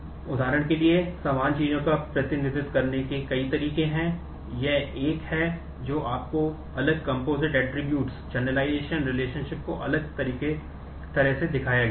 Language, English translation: Hindi, There are multiple ways to represent similar things for example, this is one which is showing you different composite attributes, the generalization, relationship is shown differently